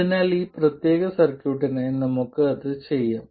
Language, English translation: Malayalam, So let's do that now for this particular circuit